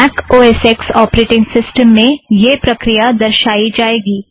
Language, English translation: Hindi, I will explain this process in a MacOSX operating system